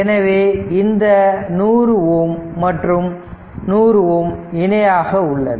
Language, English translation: Tamil, So, this 100 ohm and 100 ohm actually they are in parallel right